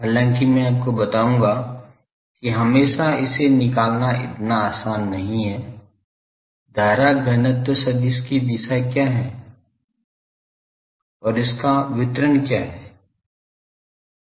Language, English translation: Hindi, However, I will tell you that always it is not so easy to find the, what is the current density vector direction and what is this distribution